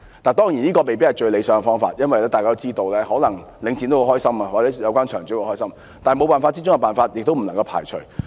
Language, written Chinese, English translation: Cantonese, 當然，這未必是最理想的方法，因為大家都知道，可能領展或有關場主也會感到很高興，但這是沒辦法中的辦法，不能夠排除。, Certainly this may not be the most satisfactory option because we know that Link REIT or the operators concerned may feel very happy too . But this is an option which cannot be ruled out when there is no other solution